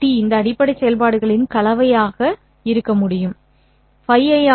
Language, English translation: Tamil, I can expand this as a combination of these basis functions, Phi I of T